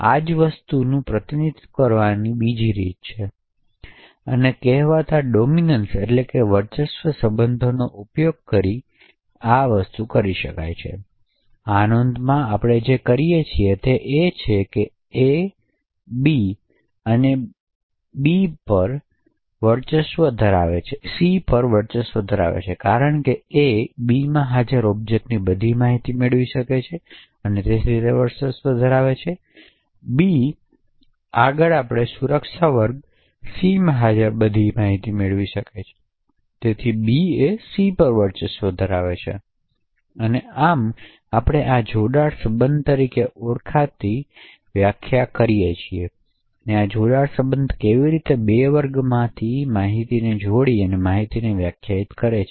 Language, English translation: Gujarati, Another way of representing the same thing is by using this so called dominance relation, in this notation what we say is that A dominates B and B dominates C, this is because A can obtain all the information of objects present in B and therefore A dominates B, further we can obtain all the information present in security class C and therefore B dominates C, further we also define something known as the join relation, so this join relation defines how legal information obtained by combining information from two classes